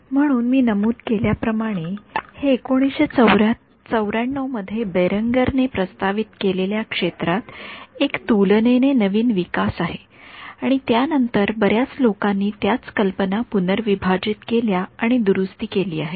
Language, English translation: Marathi, So, as I mentioned this is a relatively new development in the field proposed by Berenger in 1994 and subsequently many people have reinterpreted and reformulated the same idea ok